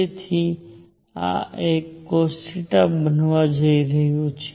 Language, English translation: Gujarati, So, this is going to be a cosine of theta